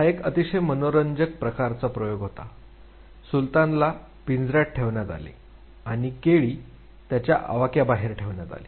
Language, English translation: Marathi, It was a very interesting type of experimentation, Sultan was put in a cage and the banana was put beyond his reach